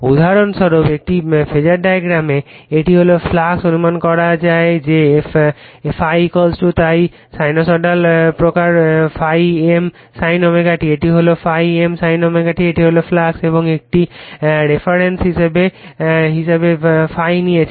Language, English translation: Bengali, For example, in a Phasor diagram, this is the flux right, we will assume that ∅ = so, sinusoidal variation ∅ M sin omega t right, this is your ∅ M sin omega t, this is the flux and we are taking the your ∅ as a reference